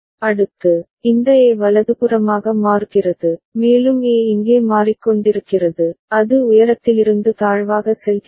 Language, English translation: Tamil, Next, this A is changing right, and A is changing over here, it is going from high to low